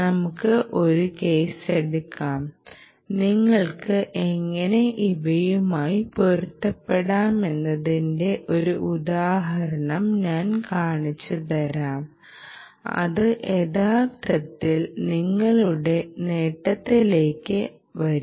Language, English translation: Malayalam, let us say, ah, so let us take a case, and i will show you an example of how you can mix, match this things in a manner that will actually come to our advantage